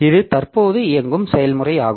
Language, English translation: Tamil, So, this is the current process